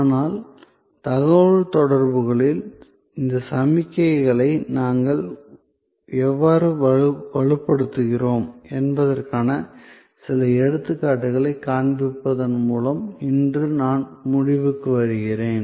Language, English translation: Tamil, But, today I will be conclude by showing you some examples that how in the communication we continue to reinforce these signals